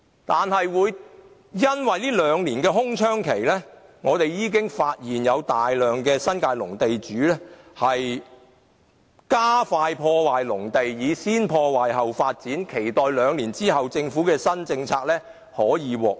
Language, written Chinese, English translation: Cantonese, 然而，因為這兩年的空窗期，我們發現有大量新界農地的地主加快破壞農地，以先破壞後發展的方式，期待兩年後政府的新政策出台後可以獲益。, But we note that this two - year gap has caused many agricultural land owners in the New Territories to expeditiously destroy their farmland hoping that they can benefit from the new government policy to be launched two years later with their destroy first develop later practices